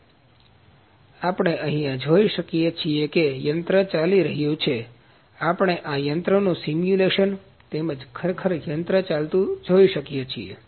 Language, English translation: Gujarati, So, what we can see here is the machine is running we can see the simulation of the machine as well as the actual machine is running here